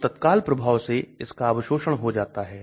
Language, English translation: Hindi, So immediately it gets absorbed